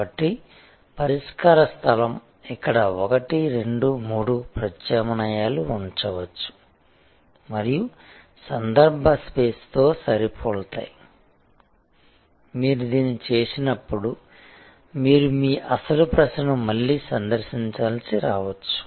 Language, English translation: Telugu, So, solution space, where there can be 1, 2, 3 alternatives and match that with the context space, when you do this, you may have to revisit your original question